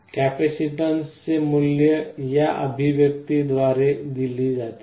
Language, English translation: Marathi, The value of the capacitance is given by this expression